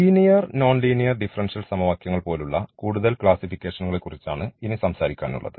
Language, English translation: Malayalam, The further classifications will be talking about like the linear and the non linear differential equations